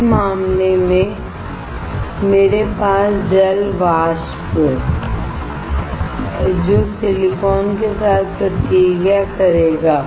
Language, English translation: Hindi, In that case, I have silicon reacting with water vapor